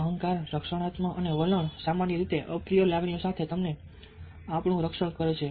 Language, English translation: Gujarati, ego defensive and attitudes generally tend to protect us against unpleasant emotions